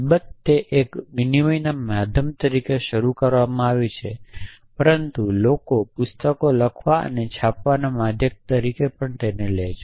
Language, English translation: Gujarati, Of course, it is started off as a media of a exchanging, but as people device means of writing and printing books